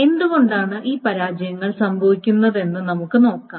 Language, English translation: Malayalam, And we will see why these failures can happen